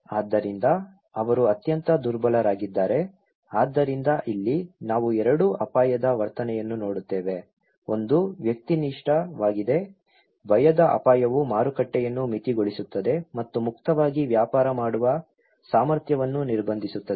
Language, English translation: Kannada, So, they are the most vulnerable so here, we look at the attitude of 2 risk; one is individualistic, the fear risk that would limit the market and constraints their ability to trade freely